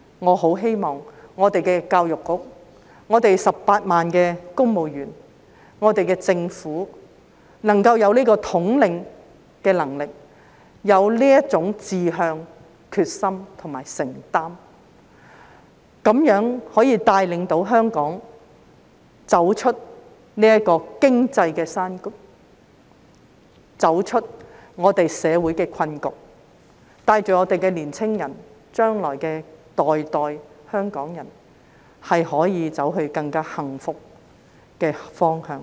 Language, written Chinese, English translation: Cantonese, 我很希望我們的教育局、18萬公務員、香港特區政府有這個統領能力，有這種志向、決心和承擔，帶領香港走出這個經濟低谷，走出我們的社會困局，帶領我們的年青人，日後世世代代香港人可以走向更幸福的方向。, I very much hope that our Education Bureau the 180 000 civil servants and the Hong Kong SAR Government have the leadership aspiration determination and commitment to lead Hong Kong out of the current economic doldrums and our social predicament and guide our young people and future generations of Hong Kong people towards a happier direction